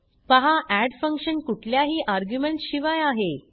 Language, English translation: Marathi, Note that add function is without any arguments